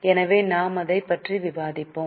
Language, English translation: Tamil, So, we have just discussed this